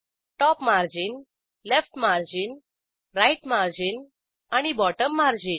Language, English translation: Marathi, Top margin, Left margin, Right margin and Bottom margin